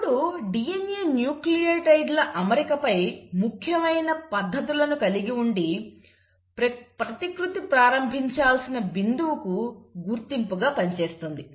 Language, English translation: Telugu, Now DNA has these signature sequences on its arrangement of nucleotides, which act as recognition for a point where the replication has to start